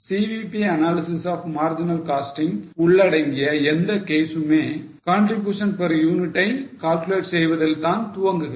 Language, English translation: Tamil, Please keep in mind for any case involving CVP analysis or marginal costing, the starting point will be calculation of contribution per unit